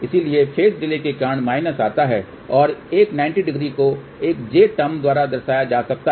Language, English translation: Hindi, So, minus comes because of the phase delay and a 90 degree can be represented by a j term